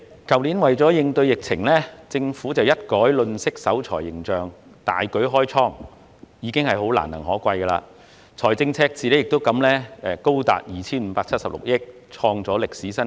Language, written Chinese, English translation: Cantonese, 主席，為應對疫情，政府去年一改吝嗇守財形象，大舉開倉，實屬難能可貴，財政赤字也因而高達 2,576 億元，創下歷史新高。, President in response to the epidemic the Government changed its miserly and penny - pinching image and opened the coffers last year which is commendable . As a result the fiscal deficit has reached a historic high of 257.6 billion